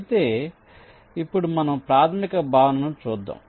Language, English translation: Telugu, but let see the basic concept here